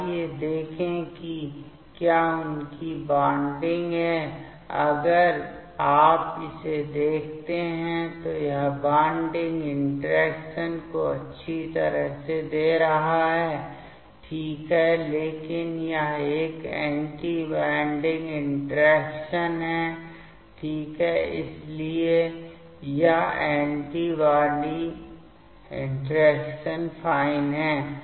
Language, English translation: Hindi, Let us check whether their bonding is if you see this one, this is nicely giving the bonding interaction ok, but this one is anti bonding interaction ok, so this is the anti bonding interaction fine